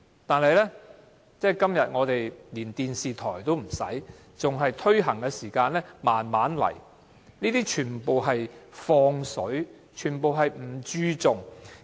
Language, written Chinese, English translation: Cantonese, 但是，今天我們連電視台都沒有提供手語翻譯，在推行的階段還是慢慢來，這些根本是"放水"，全不注重。, However at present even our television stations do not provide any sign language interpretation . Our process of promoting sign language is still very slow . This is downright connivance and total disregard